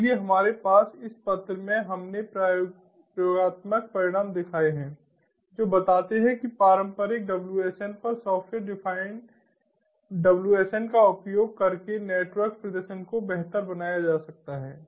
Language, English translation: Hindi, so we have in this paper we have shown experimental results that show that the network performance can be improved using software defined wsn over traditional wsm